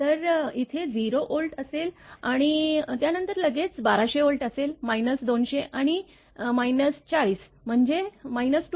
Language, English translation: Marathi, So, it here it will be 0 Volt then it is 1200 Volt right after that your this minus 200 and minus 40, so minus 240